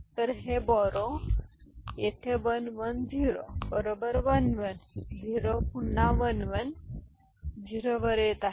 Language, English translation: Marathi, So, this borrow is coming over here 1 1, 0 right 1 1, 0 again 1 1, 0